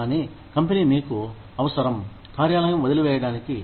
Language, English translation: Telugu, But, the company needs you, to leave the office